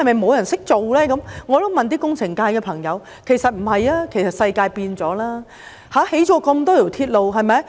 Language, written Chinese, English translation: Cantonese, 我也問過工程界的朋友，他們說不是，其實世界已改變，建造了這麼多條鐵路。, I have also asked some friends in the engineering sector . They said no . In fact the world has changed and so many railways have been built